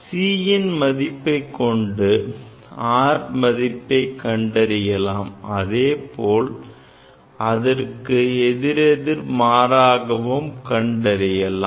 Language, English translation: Tamil, Now, for knowing the value of C, we can get the R value and vice versa